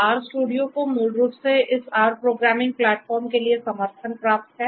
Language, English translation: Hindi, R studio basically has support for this R programming platform